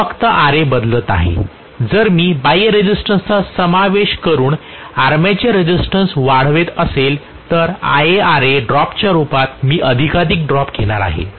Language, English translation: Marathi, I am only modifying Ra, if I am increasing the armature resistance by including some external resistance I am going to have more and more drop in the form of Ia Ra drop